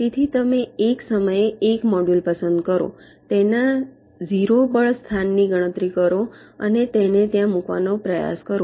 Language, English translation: Gujarati, so you select one module at a time, computes its zero force location and try to place it there